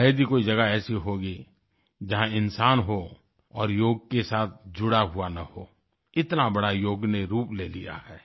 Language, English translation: Hindi, There must hardly be a place where a human being exists without a bond with Yoga; Yoga has assumed such an iconic form